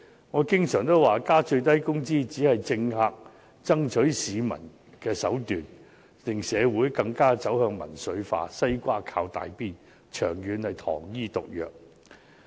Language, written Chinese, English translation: Cantonese, 我經常也說增加最低工資只是政客爭取市民支持的手段，令社會更加走向民粹化，"西瓜靠大邊"，長遠是糖衣毒藥。, I often say that increasing the minimum wage is only a means employed by politicians to lobby public support . Not only will it push society to become more and more populist for people will join those who are in more favourable situations but it will also become a kind of sugar - coated poison in the long run